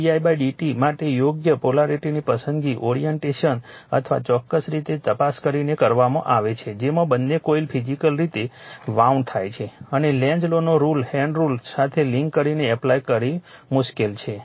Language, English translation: Gujarati, The choice of the correct polarity for M d i by d t is made by examining the orientation or particular way in which both coils are physically wound right and applying Lenzs law in conjunction with the right hand rule this is a difficult one right